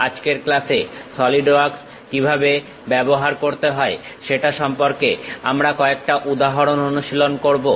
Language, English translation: Bengali, In today's class we will practice couple of examples how to use Solidworks